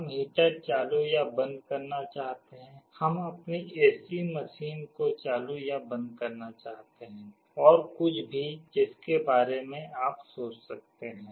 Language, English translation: Hindi, We may want to turn on or turn off a heater, we want to turn on or turn off our AC machine or anything you can think of